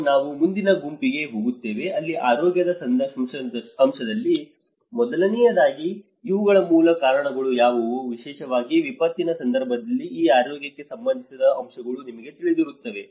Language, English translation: Kannada, And we go to the next group where on the health aspect, first of all, what are the root causes of these you know the factors that are associated with this health especially in a disaster context